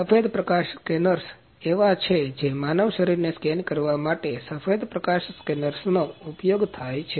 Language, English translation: Gujarati, So, white light scanners are there like white light scanners are used to scan the human body